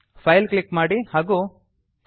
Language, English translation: Kannada, Click on File and choose Quit